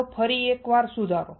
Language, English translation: Gujarati, Let us revise once again